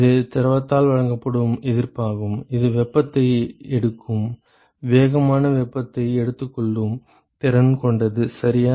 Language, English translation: Tamil, It is the resistance offered by the fluid which has a maximum capacity to take heat, take sensible heat right